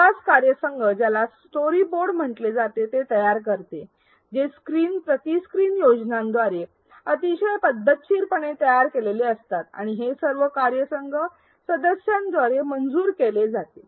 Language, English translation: Marathi, The development team creates what are called storyboards which are very systematic screen by screen plans and this is approved by all team members